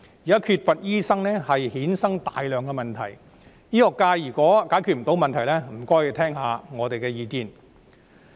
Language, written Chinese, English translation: Cantonese, 現在醫生人手短缺，衍生了大量問題，醫學界如果無法解決問題，便請聆聽一下我們的意見。, The current shortage of doctors has given rise to a lot of problems . If the medical sector fails to resolve the problems it should listen to our views